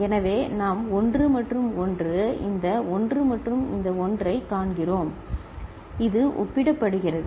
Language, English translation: Tamil, So, what we see 1 and 1, this 1 and this 1 it is compared